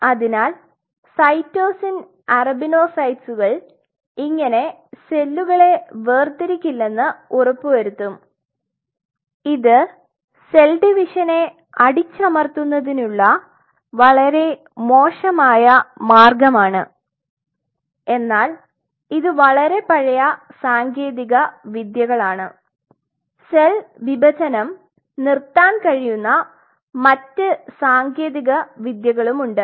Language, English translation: Malayalam, So, cytosine arabinocytes ensured that they do not separate out which is kind of a very ugly way of doing suppressing the cell division, but these are some of the very oldest techniques which are being used, but there are other techniques where you can deprive them from serum other unknown factors you can stop their division